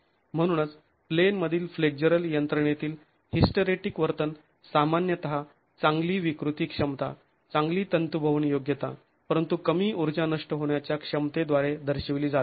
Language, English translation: Marathi, So, hysteretic behavior in a in plain flexible mechanism is typically characterized by good deformation capacity, good ductility, but low energy dissipation capacity